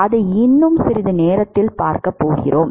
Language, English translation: Tamil, We are going to see that in a short while